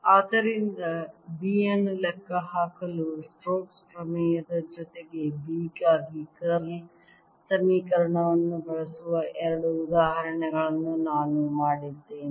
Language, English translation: Kannada, so i have done two examples of using the curl equation for b along with the stokes theorem to calculate b